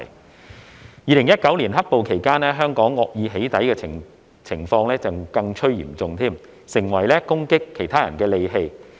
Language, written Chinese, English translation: Cantonese, 在2019年"黑暴"期間，香港惡意"起底"的情況更趨嚴重，成為攻擊他人的利器。, The 2019 black - clad violence period saw an intensifying prevalence in Hong Kong of malicious doxxing which became a powerful weapon for attacking others